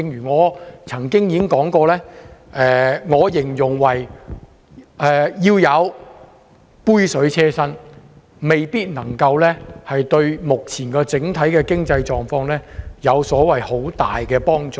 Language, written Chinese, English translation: Cantonese, 我曾經形容這項安排為杯水車薪，未必能夠對目前整體的經濟狀況有很大幫助。, I have described this arrangement as insignificant and may not be conducive to our current economic situation in general